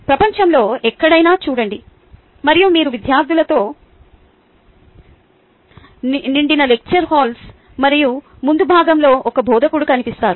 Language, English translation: Telugu, look around anywhere in the world and you will find lecture halls filled with students and at the front and instructor